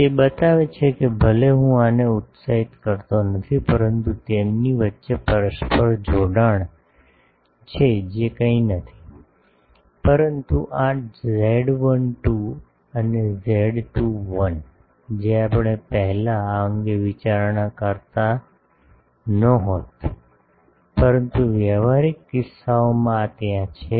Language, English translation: Gujarati, It shows that, even if I do not excide this, but mutual coupling between them, which is nothing, but this z 12 and z 21, if we were not earlier considering this, but in practical cases this is there